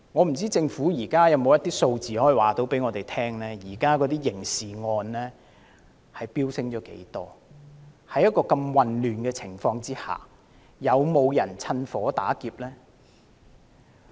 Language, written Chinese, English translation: Cantonese, 不知道政府可否告訴我們刑事罪案的數字飆升了多少，在這樣混亂的情況下又有沒有人趁火打劫？, I wonder if the Government can tell us how serious the increase in crime figures has been and whether attempts have been made by somebody in such a chaotic situation to fish in troubled waters